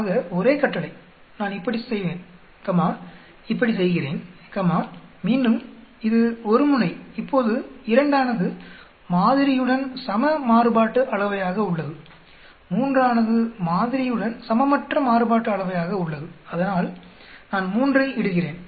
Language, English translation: Tamil, So same command, I will do like this comma do like this comma again it is one tailed now 2 is equal variance to sample, 3 is unequal variance to sample so let me put 3